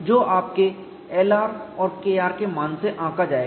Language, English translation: Hindi, So, that would be determined by your L r and K r values